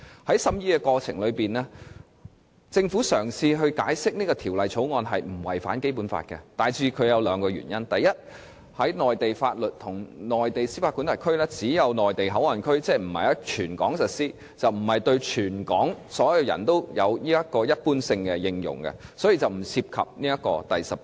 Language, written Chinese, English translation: Cantonese, 在審議過程中，政府嘗試解釋《條例草案》並沒有違反《基本法》，大致基於兩個原因：第一，內地法律和內地司法管轄區只會在內地口岸區使用，即並非於全港實施，所以不會對所有香港人有着一般性應用，因而不干犯《基本法》第十八條。, During the deliberation the Government has given two major reasons in its attempt to explain the compatibility of the Bill with the Basic Law . First since only MPA will fall under Mainland jurisdiction and be under Mainland laws the co - location arrangement does not entail general application of Mainland laws to all persons in Hong Kong and is thus not in contravention of Article 18 of the Basic Law